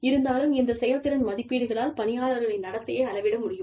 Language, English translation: Tamil, But still, these performance appraisals, need to be able to measure, the behavior of employees